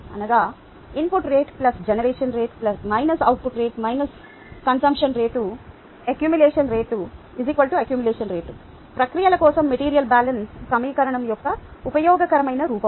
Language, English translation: Telugu, thats input rate plus generation rate minus the output rate, minus the consumption rate, equals accumulation rate, the useful form of the material balance equation for processes